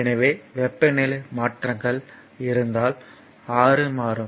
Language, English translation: Tamil, So, if there if there are changes in the temperature so, R will change